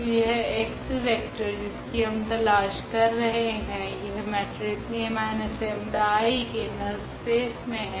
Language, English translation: Hindi, So, this x vector which we are looking for is in the null space of this matrix A minus lambda I